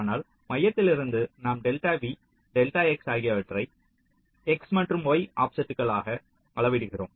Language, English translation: Tamil, so from the center we are measuring delta v, delta x as the x and y offsets